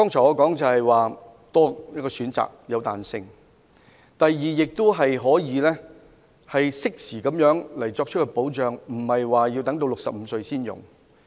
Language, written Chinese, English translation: Cantonese, 我剛才提及會有多一個選擇，有彈性；第二，亦可適時獲得保障，無須等到65歲才使用。, I have just mentioned that there will be an additional option with flexibility . Secondly a person may receive timely protection without having to wait until the age of 65